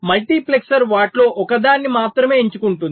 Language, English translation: Telugu, multiplexer will be selecting only one of them